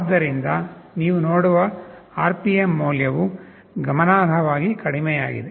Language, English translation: Kannada, So, the RPM value dropped significantly you see